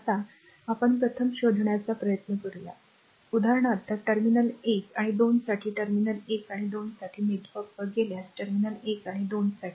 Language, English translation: Marathi, Now, let us let us these first try to find out right; for example, for example, for terminals 1 and 2 for terminals 1 and 2 if you go for star network, for terminals 1 and 2